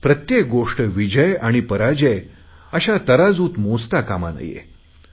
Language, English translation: Marathi, We should not judge everything in terms of victory and defeat